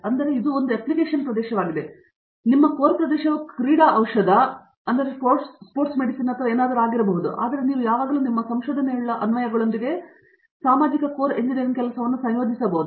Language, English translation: Kannada, So, that is an application area, your core area may be sports medicine or something, but you can always associate a core engineering job, social with applications of what your research is